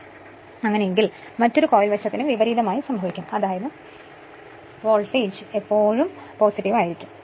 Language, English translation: Malayalam, So, in that case reverse will happen for other coil side also so; that means your voltage will be always you always your positive